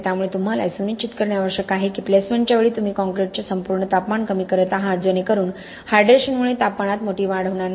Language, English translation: Marathi, So because of that you need to ensure that you are reducing your overall temperature of the concrete at the time of placement so that the hydration does not produce a large temperature rise